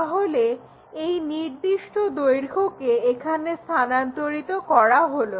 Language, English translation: Bengali, So, transfer this length in that way